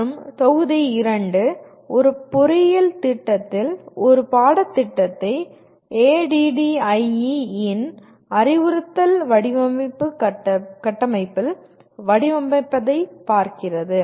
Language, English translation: Tamil, And module 2 looks at designing a course in an engineering program in the Instructional System Design framework of ADDIE